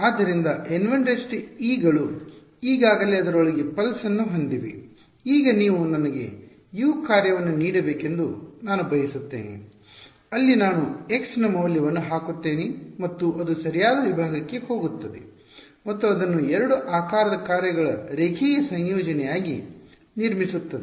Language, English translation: Kannada, So, N 1’s are already they already have the pulse inside it, now I want you to give me a function U; where I put in the value of x and it goes to the correct segment and constructs it as a linear combination of 2 shape functions